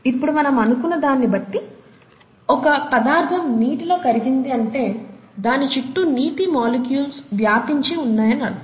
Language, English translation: Telugu, Now we said that if a substance dissolves in water, it means that it is surrounded by a layer of water molecules, okay